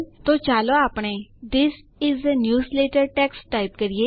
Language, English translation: Gujarati, So let us type some text like This is a newsletter